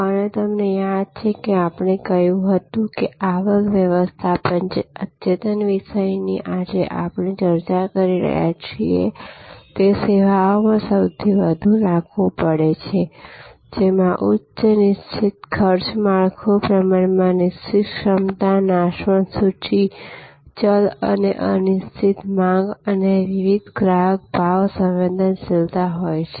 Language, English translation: Gujarati, And you remember that, we said that revenue management the advanced topic that we are discussing today is most applicable in those services, which have high fixed cost structure, relatively fixed capacity, perishable inventory, variable and uncertain demand and varying customer price sensitivity